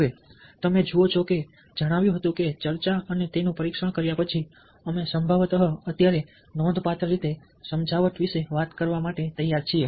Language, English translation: Gujarati, having said that, having discussed, having tested it out, ah, we are probably right now ready to talk about persuasion in a significant way